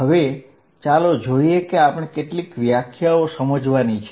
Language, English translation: Gujarati, Now, let us see how many definitions are there